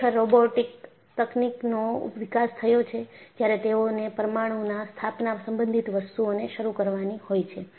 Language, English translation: Gujarati, In fact, robotic technology got developed, purely when they have to handle things related to nuclear installation, to start with